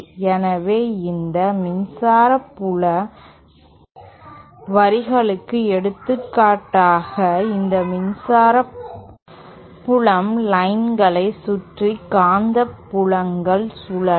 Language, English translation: Tamil, So, for example for these electric field lines, the magnetic fields will be rotating about these electric field lines